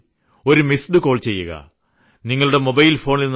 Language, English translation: Malayalam, All you have to do is just give a missed call from your mobile phone